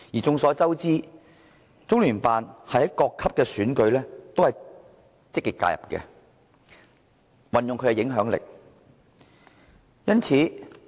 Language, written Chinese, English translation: Cantonese, 眾所周知，中聯辦在各級選舉中均積極介入，運用其影響力。, It is a well - known fact that LOCPG has been actively involved and exerted influence at all levels of elections